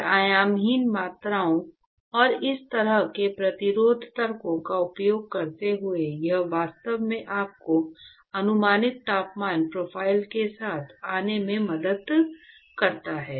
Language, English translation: Hindi, And using dimensionless quantities and such resistance arguments, it actually helps you to come up with what is going to be the approximate temperature profile